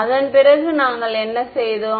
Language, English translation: Tamil, After that what did we do